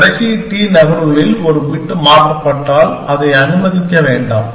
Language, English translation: Tamil, If a bit is changed in the last t moves then disallow it